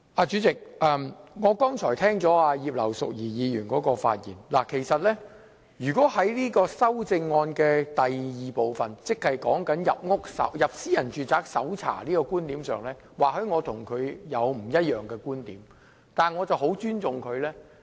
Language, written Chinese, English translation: Cantonese, 主席，我剛才聽到葉劉淑儀議員發言，其實以第二組修正案來說，即執法人員可進入私人住宅搜證的觀點上，或許我與她有不一樣的觀點，但我十分尊重她。, Chairman having listened to Mrs Regina IP earlier I may not share her views on the second group of amendment which proposes that law enforcement officers can enter private premises to collect evidence but I do respect her very much